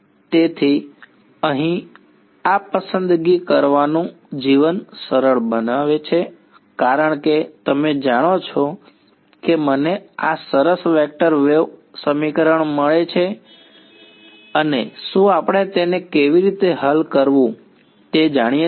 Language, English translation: Gujarati, So, here making this choice makes life easy because you know I get this nice vector wave equation and do we know how to solve this